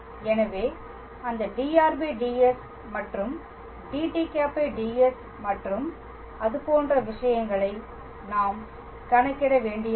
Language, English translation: Tamil, So, that we do not have to calculate those dr ds and dt ds and things like that